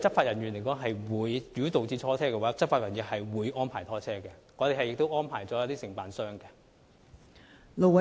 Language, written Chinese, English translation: Cantonese, 如果有需要拖車的話，執法人員會安排拖車，我們已安排一些承辦商提供服務。, If towing of vehicles is required law enforcement officers will make such arrangements . We have arranged some contractors to provide such service